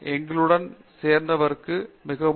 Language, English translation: Tamil, Thank you so much for joining